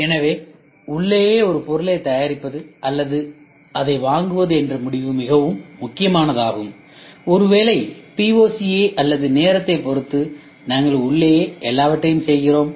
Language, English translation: Tamil, So, the decision of making a product in house or buying it decision is very critical and crucial, maybe at the POC point of or the time of it we do everything in house